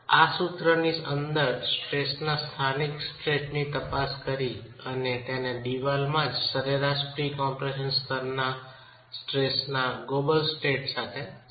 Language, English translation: Gujarati, Again, within this formulation we are examining the local states of stress and trying to relate it to the global states of stress, the average pre compression level in the wall itself